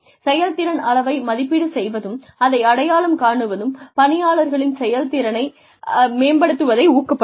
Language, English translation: Tamil, Assessment and recognition of performance levels can motivate workers to improve their performance